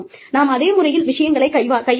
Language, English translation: Tamil, We are dealing with things, in the same manner